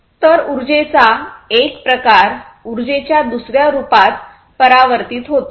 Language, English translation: Marathi, So, one form of energy is transformed to another form of energy